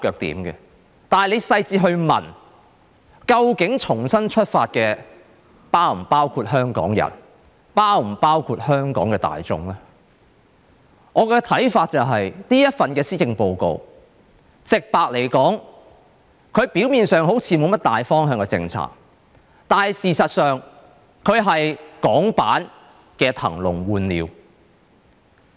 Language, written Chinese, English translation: Cantonese, 但是，如果你細緻去問，究竟重新出發的是否包括香港人，是否包括香港的大眾呢？我的看法是，直白來說，這份施政報告表面上好像沒甚麼大方向的政策，但事實上，它是港版的"騰籠換鳥"。, But if you further ask whether Hong Kong people or the general public are included when she strives ahead my honest answer is that superficially this Policy Address may not show any major direction in policies . But in fact it is a Hong Kong version of emptying the cage for new birds